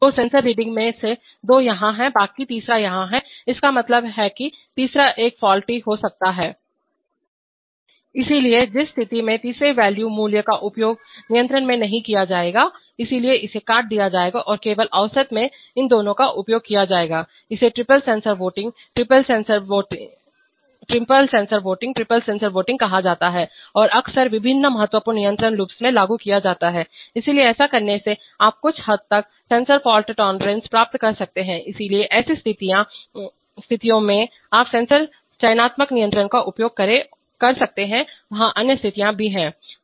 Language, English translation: Hindi, So two of the sensor readings are here, while the third one is here, means that the third one could be faulty, so in which case the third ones value will not be used in control, so it will be cut out and only the average of these two will be used, this is called triple sensor voting, triple sensor voting and often applied in various, you know, critical control loops, so by doing this you can achieve certain degree of sensor fault tolerance, so in such situations you can use sensor selective control, there are, there are even other situations